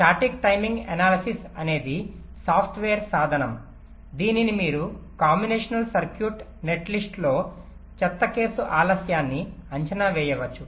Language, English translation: Telugu, static timing analysis is a software tool using which you can estimate the worst case delays in a combination circuit net list